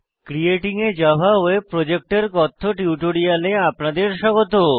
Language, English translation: Bengali, Welcome to the spoken tutorial on Creating a Java Web Project